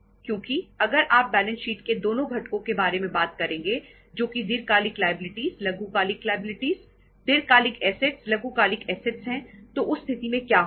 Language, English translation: Hindi, Because if you are going to talk about both the components of balance sheet that is the long term liabilities, short term liabilities, long term assets, short term assets in that case what is going to happen